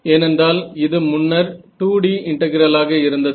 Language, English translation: Tamil, So now, this is a 2D integral